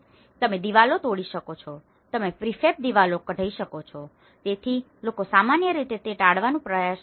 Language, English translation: Gujarati, You can break the walls; you can take out the prefab walls, so people generally try to avoid doing that